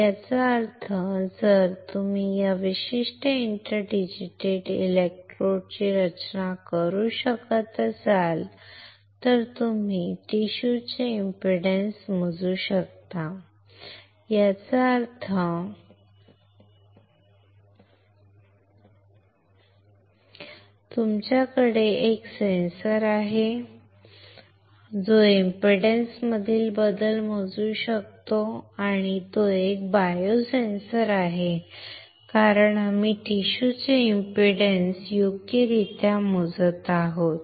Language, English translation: Marathi, That means, if you are able to design this particular inter digitated electrodes then you can measure the impedance of a tissue; that means, you have a sensor that can measure the change in impedance and it is a biosensor, because we are measuring the impedance of a tissue right